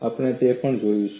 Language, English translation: Gujarati, We will look at that also